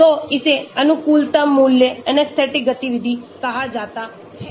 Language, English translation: Hindi, so this is called the optimum value, anesthetic activity